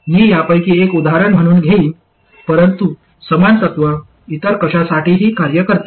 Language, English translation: Marathi, I will take one of these as example, but exactly the same principle works for anything else